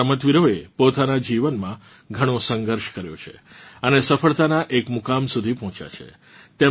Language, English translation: Gujarati, These players have struggled a lot in their lives to reach this stage of success